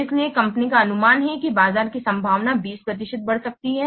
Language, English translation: Hindi, The probability that market will be expanded is 20 percent